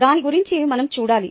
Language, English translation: Telugu, that is what we need to find